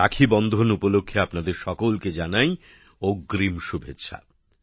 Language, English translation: Bengali, Happy Raksha Bandhan as well to all of you in advance